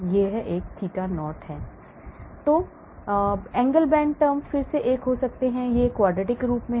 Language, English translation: Hindi, Angle bend term, again you can have a, this is the quadratic form